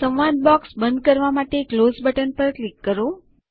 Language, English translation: Gujarati, Click on the Close button to close the dialog box